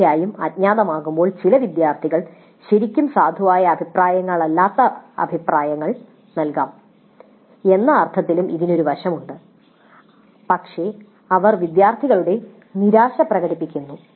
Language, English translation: Malayalam, Of course there is a flip side to this also in the sense that when it is anonymous some of the students may give comments which are not really valid comments but they express the frustration of the students